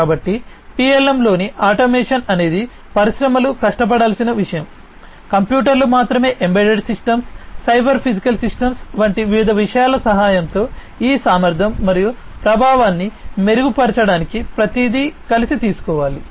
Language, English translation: Telugu, So, automation in the PLM is something that the industries will have to be striving for with the help of different things such as you know computers alone embedded systems, cyber physical systems everything has to be taken together in order to improve upon this efficiency and effectiveness in the automation of PLM